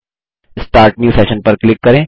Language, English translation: Hindi, Click Start New Session